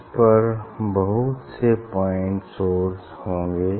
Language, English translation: Hindi, there will be many point source on this